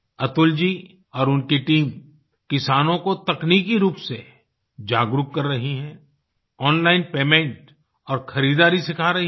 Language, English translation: Hindi, Atul ji and his team are working to impart technological knowhow to the farmers and also teaching them about online payment and procurement